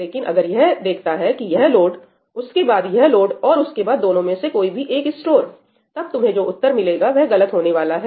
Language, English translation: Hindi, But if it sees this load followed by this load and then maybe one of the two stores, then the answer you get is going to be incorrect